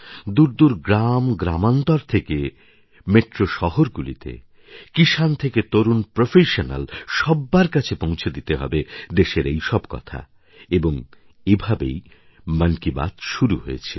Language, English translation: Bengali, From remote villages to Metro cities, from farmers to young professionals … the array just prompted me to embark upon this journey of 'Mann Ki Baat'